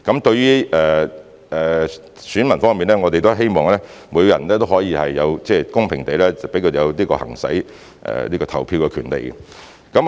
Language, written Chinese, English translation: Cantonese, 對於選民方面，我們希望每個人也可以公平地行使其投票權利。, Insofar as the electors are concerned we hope that everyone can exercise their voting right in a fair manner